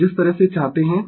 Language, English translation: Hindi, So, the way you want